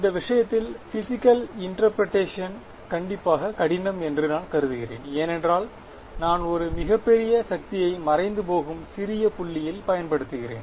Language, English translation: Tamil, This is I mean physical interpretation is strictly difficult in this case because I am applying a very very large force at a vanishingly small point ok